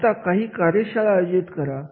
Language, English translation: Marathi, Now this is sort of a workshop